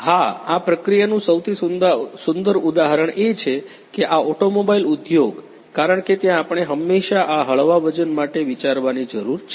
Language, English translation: Gujarati, So, the most you know the beautiful example of this process is that you know this automobile industry, because there we need to always think for this light weighting